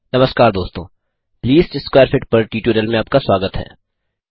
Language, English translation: Hindi, Hello friends and welcome to the tutorial on Least Square Fit